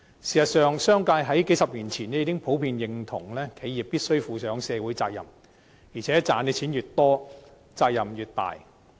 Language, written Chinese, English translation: Cantonese, 事實上，商界在數十年前已經普遍認同企業必須負上社會責任，而且賺錢越多，責任越大。, In fact the business sector has generally recognized for decades that an enterprise must undertake its social responsibility . Moreover the more money it makes the greater the responsibility